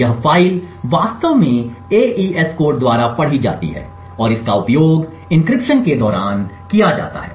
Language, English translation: Hindi, This file is actually read by the AES code and it is used during the encryption